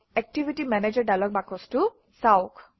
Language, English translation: Assamese, View the Activity Manager dialog box